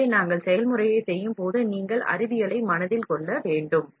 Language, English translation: Tamil, So, you should keep the science in mind when we do the process